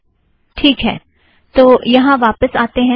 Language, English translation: Hindi, Okay lets come back here